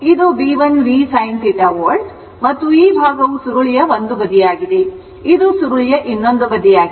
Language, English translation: Kannada, This is B l v sin theta volts right and this side is the one side of the coil, this is another side of the coil